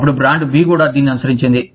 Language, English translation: Telugu, Then, brand B followed suit